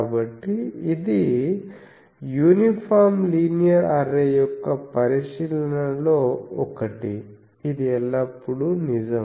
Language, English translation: Telugu, So, this is one of the observation for an uniform linear array, it is always true